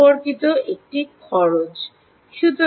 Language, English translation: Bengali, there is a cost associated, right